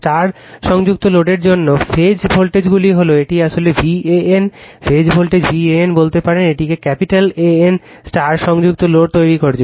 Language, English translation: Bengali, For star connected load, the phase voltages are this is actually v AN, we can say phase voltage v AN, we are making it capital AN right star connected load